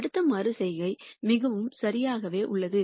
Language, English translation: Tamil, The next iteration is pretty much exactly the same